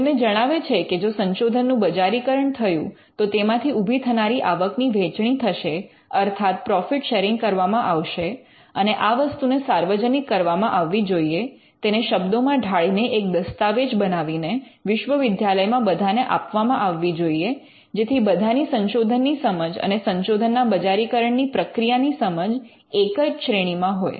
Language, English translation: Gujarati, It is going to tell them if the research get commercialized then there is going to be revenue sharing or profit sharing and this would be something that will be commonly spread; it will be captured in words and it will be a document that is shared to everyone in the university, so that everybody is at the same level when it comes to understanding research and the commercialization of research